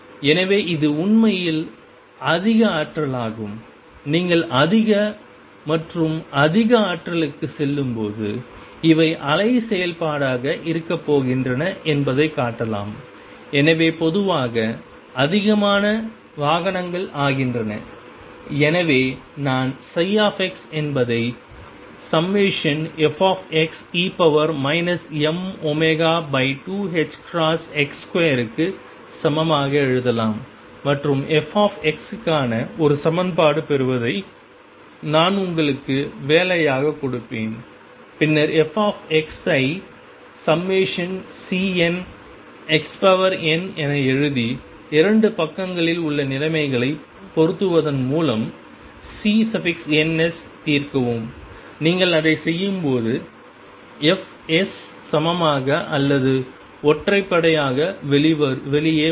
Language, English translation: Tamil, So, it is higher energy in fact, you can show that as you go to higher and higher energies these are going to be wave function is more and more vehicles in general therefore, I can write psi x equals sum f x e raised to minus m omega over 2 h cross x square and derive an equation for f x which I will give in the assignment and then write f x as sum C n times x raised to n finite polynomial and solve for C ns by matching the conditions in the 2 sides and when you do that what you find is fs come out to be either even or odd